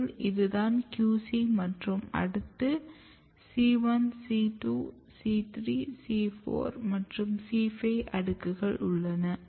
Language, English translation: Tamil, So, this is your QC this is c 1 c 2 c 3 c 4 c 5 and this is here